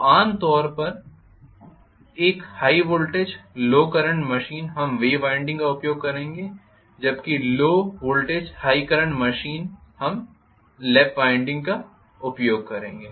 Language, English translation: Hindi, So normally a high voltage low current machine we will use wave winding whereas low voltage high current machine we will use lap winding,ok